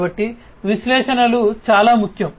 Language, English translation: Telugu, So, analytics is very important